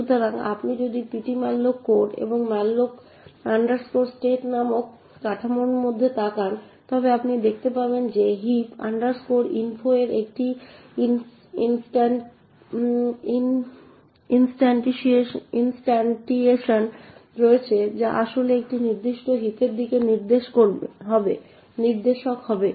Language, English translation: Bengali, So, if you look in the ptmalloc code and into the structure called malloc state you would see that there is an instantiation of heap info which would actually be a pointer to a particular heap